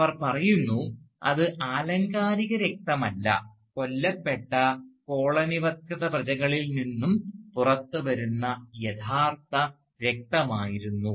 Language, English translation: Malayalam, She says, that they were not metaphorical blood, they were real blood, coming out of killed colonised subjects